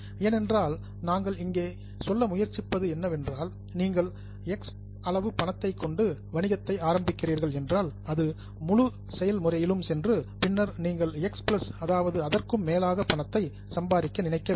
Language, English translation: Tamil, Because what we are trying is if you are starting with X amount of money, it goes through the whole process, you would like to have X plus amount of money